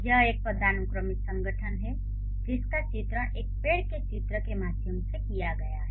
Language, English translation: Hindi, And this is a hierarchical organization which has been illustrated through a tree diagram